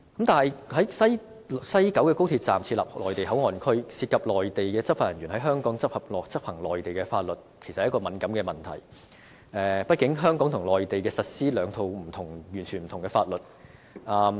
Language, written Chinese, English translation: Cantonese, 但是，在西九高鐵站設立內地口岸區，涉及內地執法人員在香港執行內地法律，其實是一個敏感問題，畢竟香港和內地實施兩套完全不同的法律。, However the setting up of a Mainland Port Area at the West Kowloon Station of XRL will involve the enforcement of Mainland laws in Hong Kong by Mainland enforcement officers and this is in fact a sensitive issue . After all Hong Kong and the Mainland are implementing two sets of totally different laws respectively